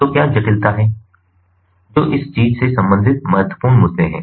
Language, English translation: Hindi, so what are the subtleties, what are the important issues concerning, ah, this thing